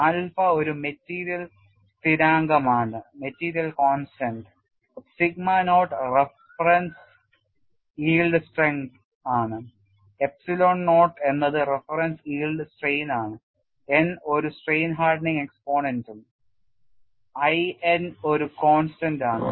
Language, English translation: Malayalam, Alpha is a material constant, sigma naught is a reference yield strength, epsilon naught is a reference yield strain, n is a strain hardening exponent and I n is the constant and function of n you know people have given expressions for this